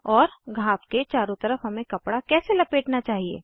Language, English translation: Hindi, And how should we roll the cloth around the wound